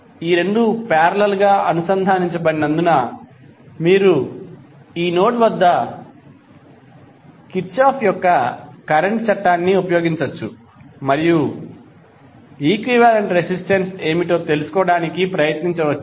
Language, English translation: Telugu, Since these two are connected in parallel, you can use the Kirchhoff’s current law at this node and try to find out what is the equivalent resistance